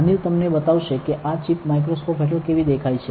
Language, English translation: Gujarati, Anil to show it to you how this chip looks under the microscope, right